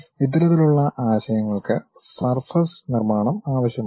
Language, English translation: Malayalam, This kind of concepts requires surface construction